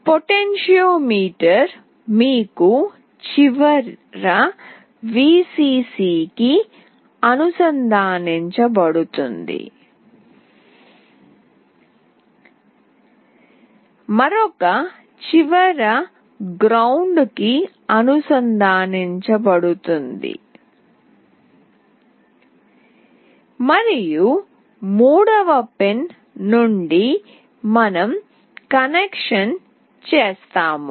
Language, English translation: Telugu, For that potentiometer, one end will be connected to Vcc, another end will be connected to ground, and from the third pin we make the connection